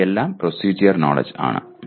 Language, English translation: Malayalam, These are all procedural knowledge